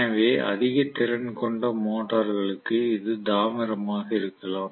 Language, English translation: Tamil, So generally for high capacity motors it may be copper, right